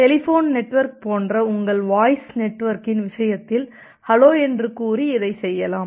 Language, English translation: Tamil, So, in case of your voice network like the telephone network, you can just do it by saying hello